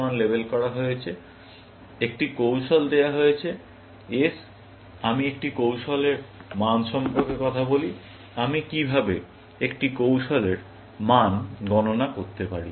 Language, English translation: Bengali, Given a strategy, S, and I talk about the value of a strategy; how can I compute the value of a strategy